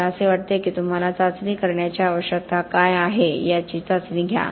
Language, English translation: Marathi, I think you test what you need to test for why you need to test it